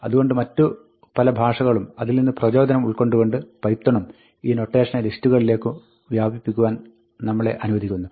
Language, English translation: Malayalam, So, what python does and many other languages also, from which python is inspired to, is allow us to extend this notation to lists